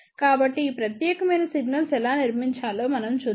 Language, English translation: Telugu, So, let us see how we can build this particular signal flow